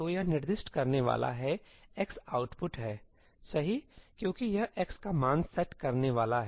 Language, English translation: Hindi, So, it is going to specify x is output, right, because it is going to set the value of x